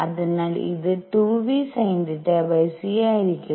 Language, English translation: Malayalam, So, this is going to be 2 v sin theta divided by c